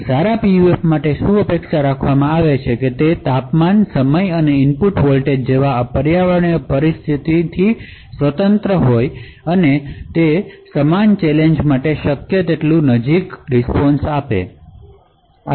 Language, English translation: Gujarati, So, what is expected for a good PUF is that independent of these environmental conditions like temperature, time and input voltage, the response should be as close as possible for the same challenge